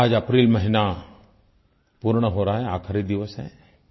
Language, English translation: Hindi, Today is the last day of month of April